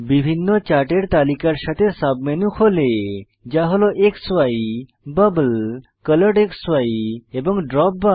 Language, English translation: Bengali, A submenu opens with various types of charts, namely, XY, Bubble, ColoredXY and DropBar